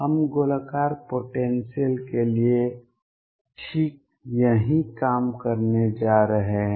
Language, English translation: Hindi, We are going to do exactly the same thing for spherical potentials